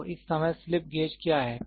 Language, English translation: Hindi, So, what is slip gauge at this point of time